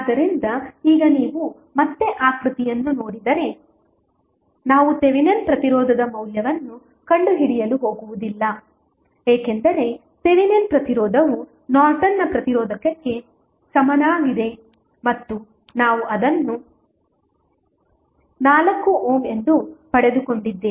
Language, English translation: Kannada, So, now if you see the figure again we are not going to find out the value of Thevenin resistance because we know that Thevenin resistance is equal to Norton's resistance and which we obtained as 4 ohm